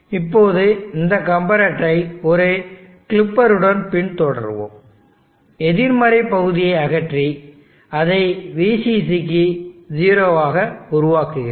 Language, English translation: Tamil, Now follow this comparator with the clipper, I want to remove the negative portion, I want to make it 0 to VCC